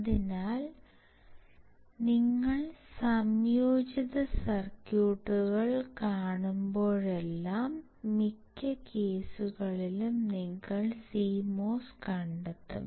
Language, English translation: Malayalam, So, whenever you see an indicator circuits, most of the cases you will find CMOS